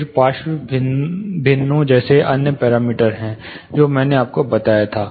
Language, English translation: Hindi, Then there are other parameters like lateral fractions that I told you